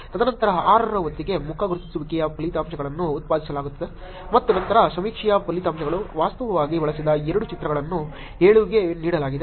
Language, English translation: Kannada, And then by the time of 6 is happening which is face recognition results are being produced and then survey results both the images that are actually used which is given to 7